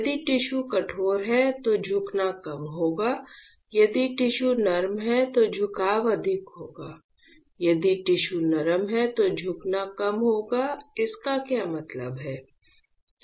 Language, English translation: Hindi, If the tissue is hard the bending will be less if the tissue is soft is the tissue is hard bending will be more, if the tissue is soft bending will be less what does that mean